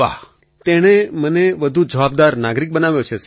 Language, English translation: Gujarati, It has made me a more responsible citizen Sir